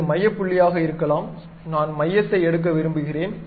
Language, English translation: Tamil, This might be the center point, I would like to pick pick center